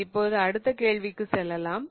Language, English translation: Tamil, Now let us go to the next question